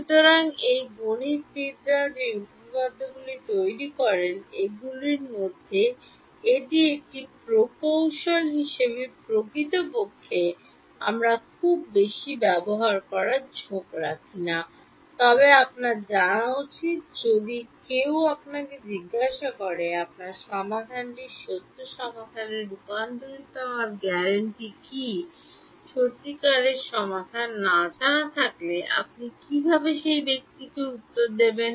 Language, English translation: Bengali, So, this is a one of those theorems which mathematicians make which in practice as engineers we do not tend to use very much, but you should know, if someone asks you: what is the guarantee that your solution will converge to the true solution